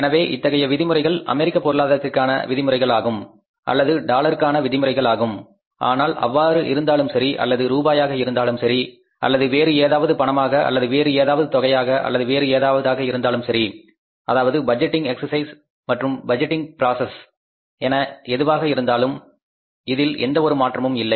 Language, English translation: Tamil, So, these are in terms of the, say, American economy or maybe the in terms of dollars, but they are equally applicable that whether it is in dollars or in rupees or in any currency or in any amount or in any case, the budgeting exercise, the budgetary process is going to remain the same